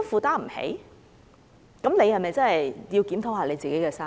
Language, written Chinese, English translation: Cantonese, 這樣的話，是否該檢討自己的生意？, If that is the case should you rethink about the way you run your business?